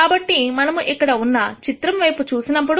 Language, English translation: Telugu, So, let us look at this picture here